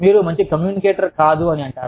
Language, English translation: Telugu, You are not a good communicator